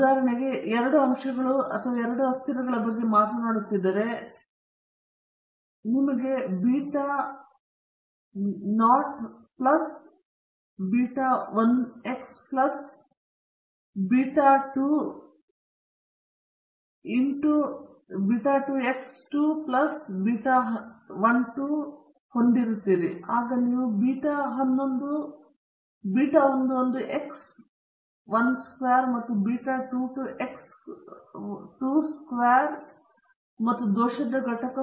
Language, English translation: Kannada, For example, if you are talking about two factors or two variables, you will have beta naught plus beta 1 X 1 plus beta 2 X 2 plus beta 12 X 1 X 2, and then you will have beta 11 X 1 squared plus beta 22 X 2 squared plus the error component